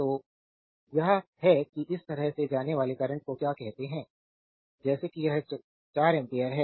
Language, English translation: Hindi, So, this is that your what you call current going like this going like this going like this is 4 ampere